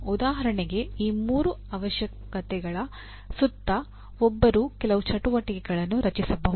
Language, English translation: Kannada, For example, around these three requirements one can build some activities